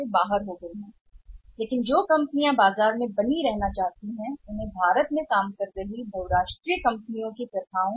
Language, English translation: Hindi, But the companies for sustaining in the market they also have to align with say the rules and practices of the multinational companies operating in India